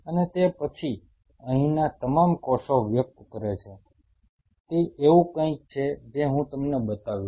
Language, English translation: Gujarati, And after that all the cells here express it is something like them I will show you